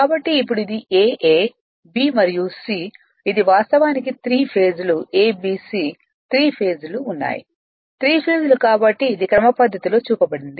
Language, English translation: Telugu, So now this is your A, B, and C this is actually 3 phases are there A B C 3 phase's right, 3 phase's are there so it is schematically it is shown